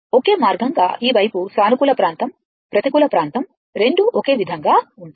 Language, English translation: Telugu, Identical means, this side positive area negative area both will be same right